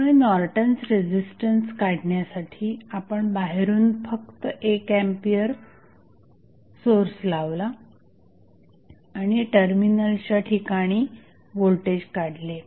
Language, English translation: Marathi, So, to find out the value of Norton's resistance, we just placed 1 ampere source externally and measure the voltage across terminal